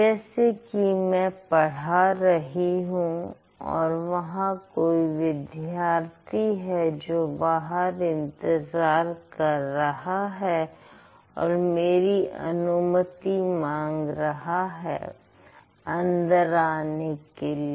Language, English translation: Hindi, Let's say I'm teaching here and there is a student who is waiting outside my classroom and then asking for the permission